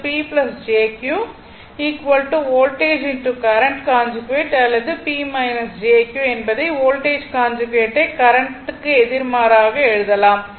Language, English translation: Tamil, This one your what you call P plus jQ is equal to voltage into current conjugate or you can write P minus jQ is equal to voltage conjugate just opposite into your simply current right